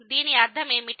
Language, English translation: Telugu, What do we mean by this